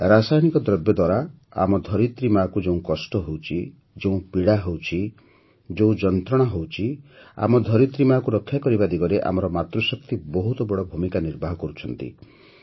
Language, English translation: Odia, The suffering, the pain and the hardships that our mother earth is facing due to chemicals the Matrishakti of the country is playing a big role in saving our mother earth